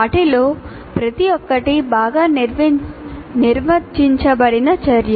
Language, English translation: Telugu, Each one of them is a well defined activity